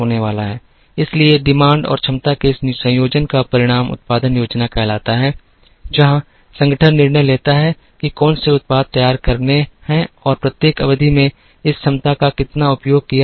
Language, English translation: Hindi, So, this combination of demand and capacity results in what is called the production plan, where the organization decides, what are the products to be produced and how much of this capacity is going to be utilized in each period